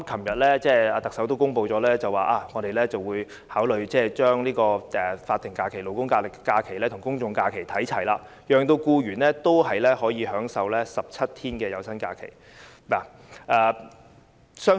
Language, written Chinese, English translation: Cantonese, 特首昨天公布，會考慮把法定勞工假期與公眾假期看齊，讓僱員可以享有17天有薪假期。, In her announcement yesterday the Chief Executive said that she was considering aligning the number of statutory holidays with that of public holidays so that employees can enjoy 17 days of paid holidays